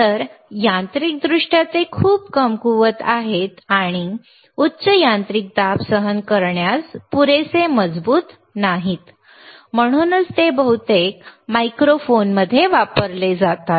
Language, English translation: Marathi, So, mechanically they are very weak and not strong enough to withstand higher mechanical pressures, thatwhich is why they are mostly used in microphones, you see